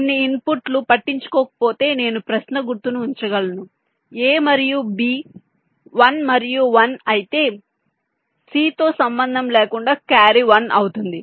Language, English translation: Telugu, i can put ah question mark like: if a and b are one and one, then irrespective of c, the carry will be one